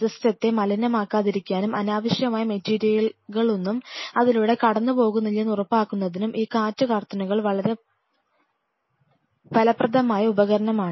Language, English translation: Malayalam, These wind curtains are very effective tool to ensure that no unnecessary material kind of passes through it to contaminate the system